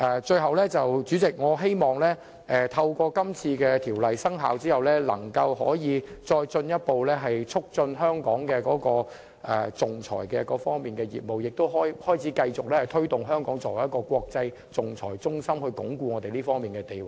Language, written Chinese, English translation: Cantonese, 最後，代理主席，我希望這項《條例草案》的生效，可以進一步促進香港在仲裁方面的業務，並可繼續推動香港作為一個國際仲裁中心，鞏固我們這方面的地位。, Lastly Deputy President I hope the commencement of the Bill will further enhance the development of arbitration business in Hong Kong so that we can continue to promote Hong Kong as an international arbitration centre and consolidate our status on this front